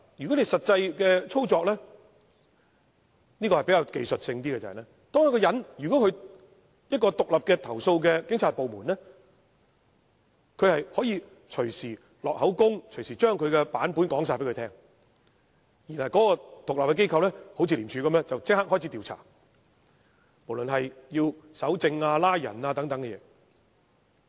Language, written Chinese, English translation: Cantonese, 但是，實際的操作是技術性的問題，在獨立的投訴警察部門，投訴人可以隨時錄取口供，將他的版本說出，然後這獨立機構便會如廉署般展開調查，包括搜證和拘捕等事宜。, However the actual operation is a technical issue . In an independent department for complaints against the Police a complainant may make a statement and tell his own version at any time . Then this independent organization will like ICAC commence an investigation including a search for evidence arrests etc